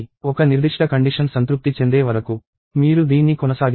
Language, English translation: Telugu, So, you keep doing this till a certain condition is satisfied